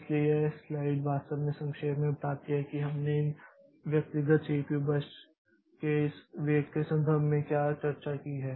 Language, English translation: Hindi, So, this slide actually summarizes to what we have discussed previously in terms of this weight of this individual CPU birds